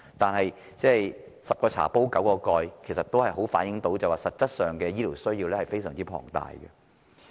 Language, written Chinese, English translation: Cantonese, 但是，所謂"十個茶壺九個蓋"，這清楚反映實際的醫療需要十分龐大。, Nonetheless the saying that there are only nine lids for 10 tea pots clearly reflects that the actual demands for healthcare services are enormous